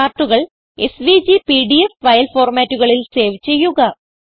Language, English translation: Malayalam, Save the charts in SVG and PDF file formats